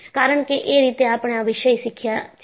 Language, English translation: Gujarati, That is how, we learned the subject